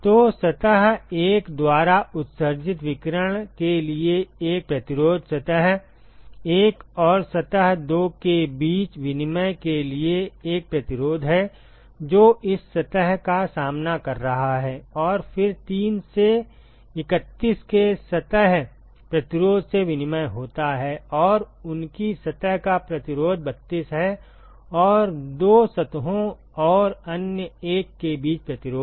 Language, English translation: Hindi, So, there is one resistance for radiation that is emitted by surface 1, there is one resistance for exchange between surface 1 and the surface 2 which is facing this surface and, then there is there is exchange from the surface resistance of 3 to 31 and, their surface resistance of 32 and resistance between the 2 surfaces and the other 1